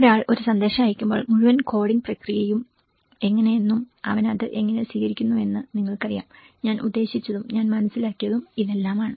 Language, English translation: Malayalam, So one when the sender sends a message and then how the whole coding process and how he receives it you know, this whole what I mean and what I understand